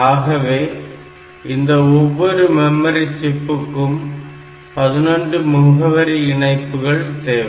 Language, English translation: Tamil, So, this individual memory chips so they have got the address lines which are 11 bit